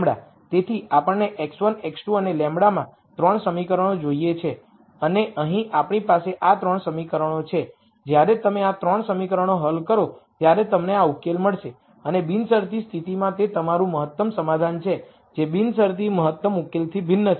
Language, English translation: Gujarati, So, we need 3 equations in x 1 x 2 and lambda we do have these 3 equations here and when you solve these 3 equations you will get this solution and this is your optimum solution in the constrained case which is different from the optimum solution in the unconstrained case which would have been 00